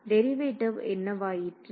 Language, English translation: Tamil, What about derivative